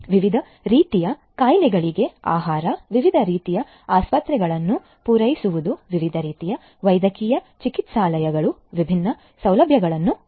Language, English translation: Kannada, Catering to different types of diseases; catering to different types of hospitals, different types of medical clinics having different facilities